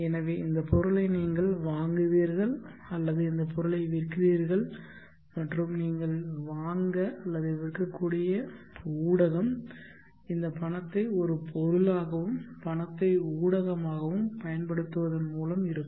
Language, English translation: Tamil, Now this item is either sold, so there is the transaction where you will buy this item or sell this item and the medium through which you will buy or sell would be using this money as an item, money as the medium